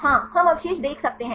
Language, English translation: Hindi, Yeah we can see the residues